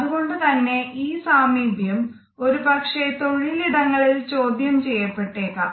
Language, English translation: Malayalam, Therefore, this proximity sometimes may be questioned in the workplace